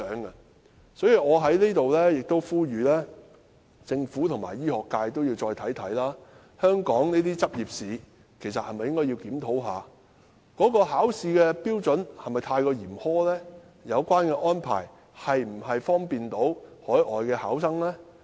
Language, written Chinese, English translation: Cantonese, 因此，我在這裏呼籲政府和醫學界再想想，香港的執業試是否有需要檢討，考試的標準是否太過嚴苛，以及有關安排是否利便海外考生。, This is extremely undesirable . Hence here I urge the Government and the medical sector to reconsider whether a review of the licensing examination in Hong Kong is necessary whether the examination standard is too harsh and whether the examination arrangement is convenient to overseas candidates